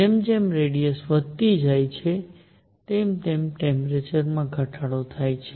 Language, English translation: Gujarati, As the radius goes up, the temperature comes down